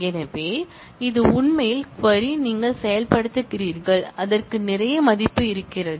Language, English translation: Tamil, So, this is actually the query that, you are executing and that has a lot of value